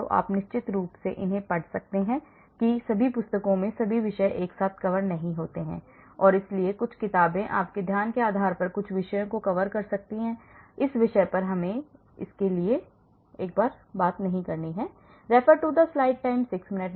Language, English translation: Hindi, So, you can read them of course not all the books cover with all the topics and so some books may cover certain topics based on their focus let us go for that on this topic